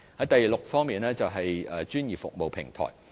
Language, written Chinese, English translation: Cantonese, 第六，是專業服務平台方面。, Sixth it is about the platform for professional services